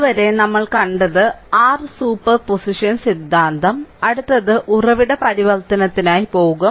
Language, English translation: Malayalam, So, so far we have seen that your super position theorem, next we will go for source transformation